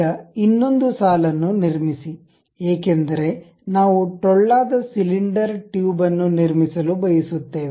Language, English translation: Kannada, Now, construct another line, because we would like to have a hollow cylinder tube construct that